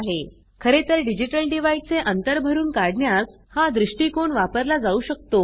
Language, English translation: Marathi, As a matter of fact, this approach can be used to bridge digital divide